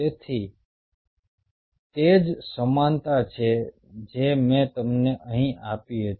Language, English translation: Gujarati, so its the same analogy as i gave you out here